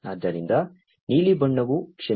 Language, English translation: Kannada, So, the blue colored one sorry that the